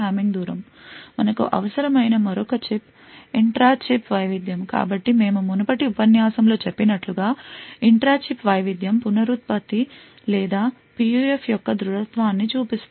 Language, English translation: Telugu, Another check which we also require was the intra chip variation, so as we mentioned in the previous lecture the intra chip variation shows the reproducibility or the robustness of a PUF